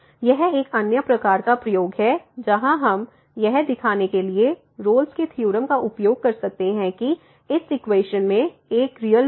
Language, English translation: Hindi, So, this is another kind of application which where we can use the Rolle’s Theorem to show that this equation has exactly one real root